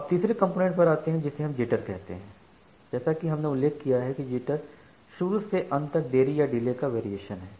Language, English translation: Hindi, Now, coming to the third component which we call as the Jitter; so, as we have mentioned jitter is the Variation in End to End delay